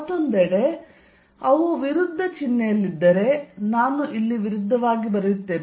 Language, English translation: Kannada, On the other hand, if they are at opposite sign, so let me write opposite out here